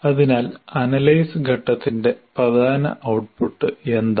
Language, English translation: Malayalam, So what is the key output of analysis phase